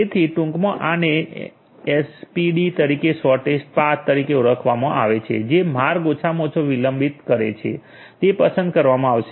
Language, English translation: Gujarati, So, in short this is known as SPD the shortest path which has that the path which has the least delay is going to be chosen